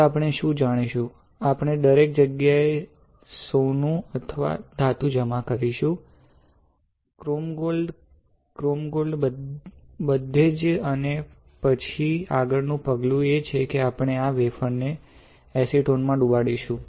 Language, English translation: Gujarati, Now what we will do you know, we will deposit gold or a metal everywhere, chrome gold right, as your chrome gold everywhere and then the next step is we will dip this wafer in acetone